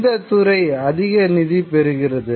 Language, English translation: Tamil, What is it that receives more funding